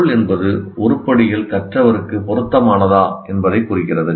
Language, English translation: Tamil, So having meaning refers to whether the items are relevant to the learner